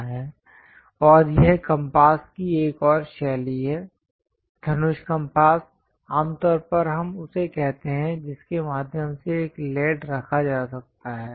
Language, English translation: Hindi, And this is other style of compass, bow compass usually we call through which a lead can be kept there